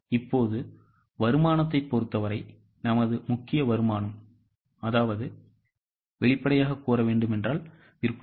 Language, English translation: Tamil, Now, as far as the income is concerned, our major income is obviously sales